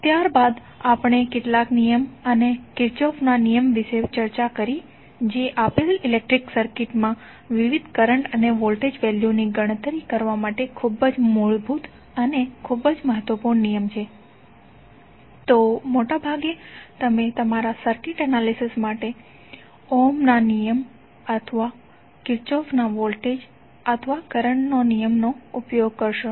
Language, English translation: Gujarati, Thereafter we discuss some law and Kirchhoff law which are the very basic and very important laws for the calculation of various current and voltage values in a given electrical circuit, so most of the time you would be using either ohms law or the Kirchhoff voltage or current law in your circuit analysis